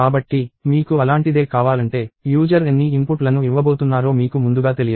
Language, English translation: Telugu, So, if you want something like that, upfront you do not know how many inputs the user is going to give